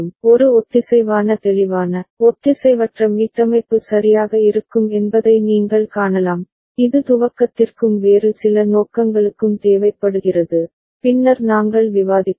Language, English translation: Tamil, And you can see that there will be a synchronous clear, asynchronous reset right ok, it is required for initialization and for some other purposes that we shall discuss later